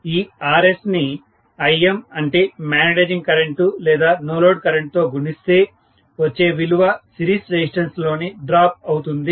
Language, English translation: Telugu, So, Rs multiplied by Im, whatever is the magnetising current or the no load current, that will be the drop across the series resistance